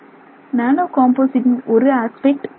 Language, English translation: Tamil, So, nanocomposite typically has one major issue that is dispersion